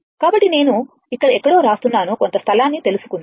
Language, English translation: Telugu, So, ah I am writing somewhere here right ah let me see find out some space